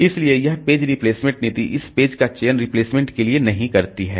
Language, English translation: Hindi, interlocking has to be done so that this page replacement policy does not select this page for replacement